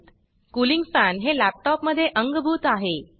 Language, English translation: Marathi, This is the inbuilt cooling fan in the laptop